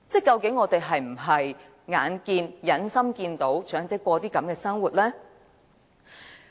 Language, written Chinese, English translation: Cantonese, 究竟我們是否忍心看到長者過着這種生活呢？, Do we have the heart to let elderly persons lead a life like that?